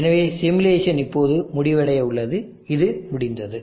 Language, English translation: Tamil, So the simulation is now about to complete and it has completed